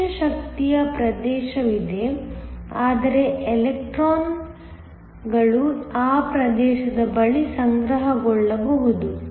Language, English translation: Kannada, There is the region of energy minimum which means, electrons can accumulate near that region